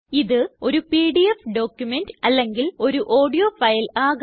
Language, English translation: Malayalam, It could be a PDF document or an audio file